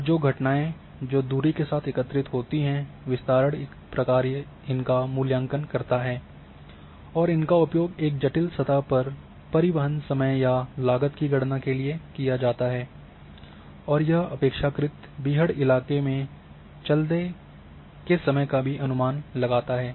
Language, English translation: Hindi, And a spread function evaluated phenomena that accumulate with distance and these are used to calculate transportation time or cost over a complex surface and the estimation of the time taken to walk in a relatively rugged terrain